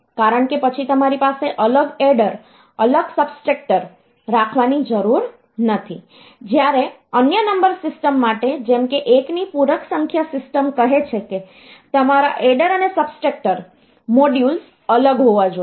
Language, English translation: Gujarati, Because then you do not have to have separate adder, separate subtractor whereas, for other number system like say 1’s complement number system, you separate your add is subtraction modules should be separate